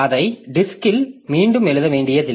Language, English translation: Tamil, So, I don't have to write it back onto the disk